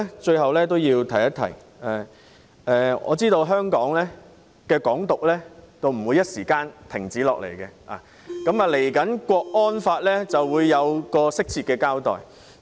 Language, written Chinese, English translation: Cantonese, 最後，主席，我知道"港獨"短時間不會消停，接下來的港區國安法將會有適切的交代。, Finally Chairman I know that Hong Kong independence will not cease in a short time and the incoming Hong Kong national security law will properly address the issue